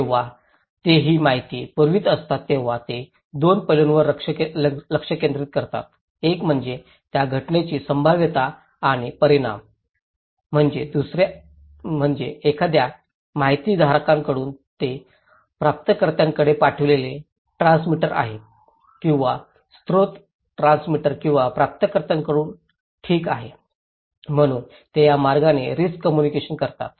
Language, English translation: Marathi, When they are sending this informations, they focus in 2 aspects; one is the probabilities and consequence of that event, from one information bearer, that is the transmitter to the receiver or the from the source transmitter or receiver okay so, these way they communicate the risk